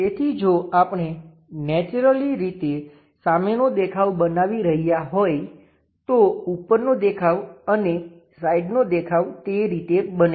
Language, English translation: Gujarati, So, if we are constructing naturally the front view, top view and side view becomes in that way